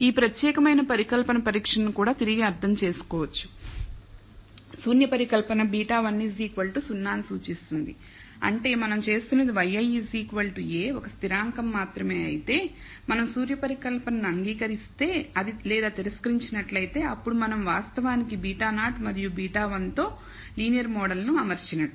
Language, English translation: Telugu, So, this particular hypothesis test can be also reinterpreted as the null hypothesis implies beta 1 equal to 0 which means what we are doing is only a t of y i is equal to a constant whereas, if we accept in or reject the null hypothesis then we are actually fitting a linear model with beta naught and beta 1 present